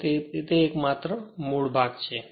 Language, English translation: Gujarati, So, it is just a basic portion right